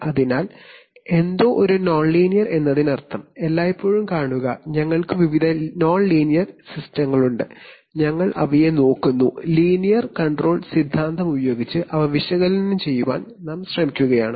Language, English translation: Malayalam, So, something is a nonlinear means what, see all the time, we have various nonlinear systems and we are looking at them, we are we are trying to analyze them using linear control theory